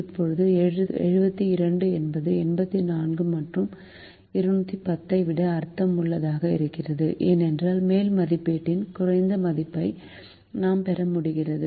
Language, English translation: Tamil, now seventy two is more meaningful than eighty four and two hundred and ten because we are able to get a lower value of the upper estimate